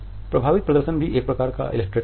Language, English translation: Hindi, Affect displays are also a type of an illustrator